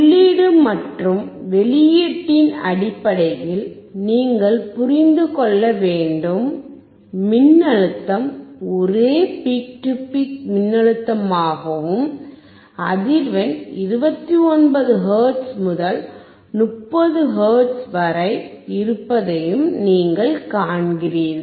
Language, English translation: Tamil, So, you have to understand in terms of input and output, you see that the voltage is same peak to peak voltage and the frequency is also about 29 hertz to 30 hertz